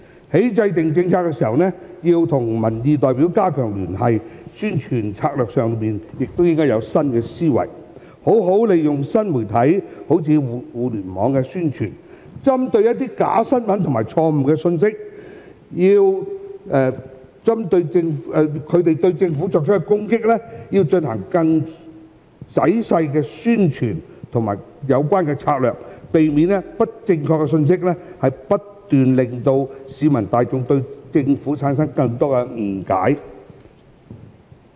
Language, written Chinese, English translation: Cantonese, 在制訂政策時，要與民意代表加強聯繫，在宣傳策略上亦應該有新思維，好好利用新媒體進行宣傳，針對假新聞和錯誤信息對政府所作攻擊，進行更仔細的宣傳策略，避免不正確信息不斷令市民大眾對政府產生更多誤解。, When formulating policies the Government must enhance liaison with the representatives of the public . On publicity strategies the Government should adopt a new mindset and make good use of the new media . It should devise more detailed publicity strategies against the attack of the Government by fake news and wrong messages so as to prevent such incorrect messages from causing further misunderstanding between the public and the Government